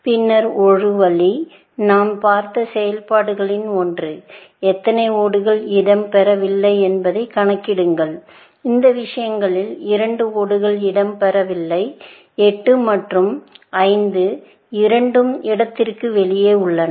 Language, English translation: Tamil, Then, one way, one of the functions that we saw was; simply count how many tiles are out of place, in which case, two tiles are out of place; both 8 and 5 are out of place